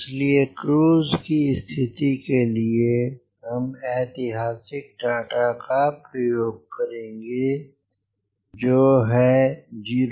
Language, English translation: Hindi, so for cruise condition, the we will use the historical data